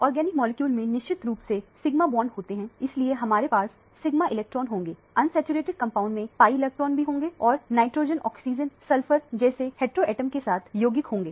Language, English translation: Hindi, Organic molecules invariably have sigma bonds so we will have sigma electrons, unsaturated compounds will have pi electrons also and compounds with heteroatoms like nitrogen, oxygen, sulphur and so on